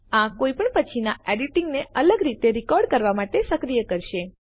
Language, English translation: Gujarati, This will enable any subsequent editing to be recorded distinctly